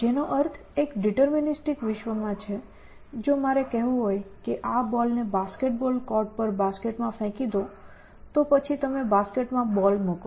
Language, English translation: Gujarati, So, which means in a deterministic world, if I want to say throw this ball into the basket on a basket ball court, then you put ball into the basket essentially